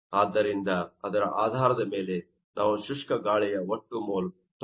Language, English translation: Kannada, So, based on that we can see that total mole of dry air will be equal to 96